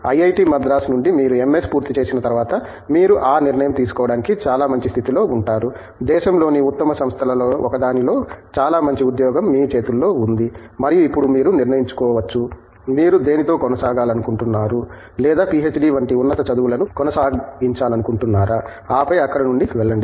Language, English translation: Telugu, Whereas, after you get an MS from IIT, Madras you will be in a much better position to take that decision, you have a very good job that you have at your hand in one of the best companies in the country and now you can decide whether you want to continue with that or pursue even higher studies like PhD and so on and then go from there